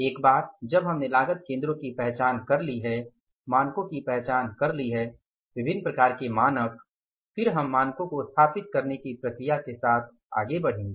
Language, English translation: Hindi, Once we have identified the cost centers we have say identified the standards, different kind of the standards, then we will go for the with the process of setting up the standards